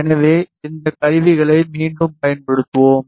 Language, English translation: Tamil, So, we will make use of this tool again